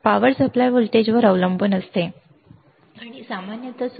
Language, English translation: Marathi, Depends on the power supply voltage, and typically is about plus minus 13